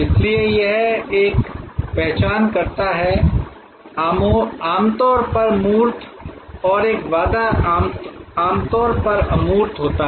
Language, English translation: Hindi, So, it is both an identifier, usually tangible and a promise usually intangible